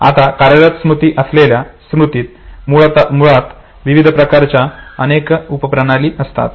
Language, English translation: Marathi, Now working memory basically consists of several subsystems of various types of tasks rather than single general capacity